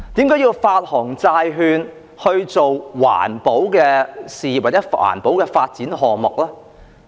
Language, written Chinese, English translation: Cantonese, 為何要發行債券來發展環保事業或項目呢？, Why should it issue bonds to take forward environmental protection causes or projects?